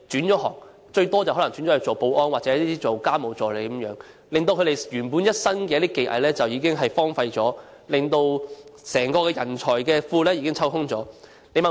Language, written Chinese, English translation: Cantonese, 他們大多可能轉職保安或家務助理，令他們原本的一身技藝荒廢了，也令整個人才庫被抽空。, Many of them have probably switched to occupations of security guards or domestic helpers thus leaving their skills idle . This has also emptied the entire talents pool